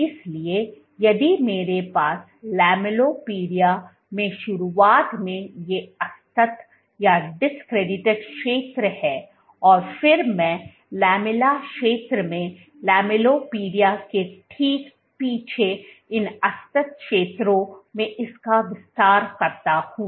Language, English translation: Hindi, So, if I have these discretized zones at the beginning in the lamellipodia and then I extend this to these discretized zones right behind the lamella right behind the lamellipodia along in the lamella region